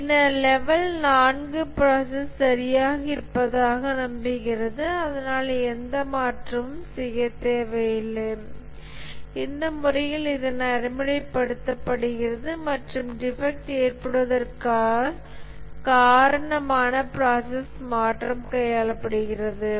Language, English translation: Tamil, The level 4 assumes that the process is all right, no changes required, only the way it is enforced or practiced is causing the process variation which is causing the defects